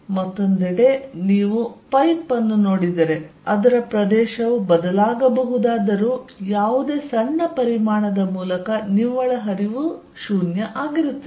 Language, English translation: Kannada, On the other hand, if you see a pipe although it is area may change, the net flow through any small volume is 0